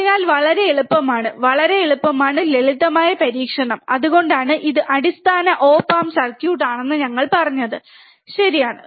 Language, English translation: Malayalam, So, very easy, very easy extremely simple experiment, that is why we have said it is a these are basic op amp circuits, right